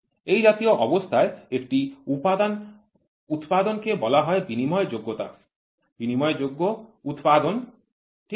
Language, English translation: Bengali, The manufacturing of a component under such conditions is called as interchangeability interchangeable manufacturing, ok